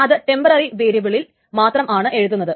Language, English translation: Malayalam, So this is just a temporary variable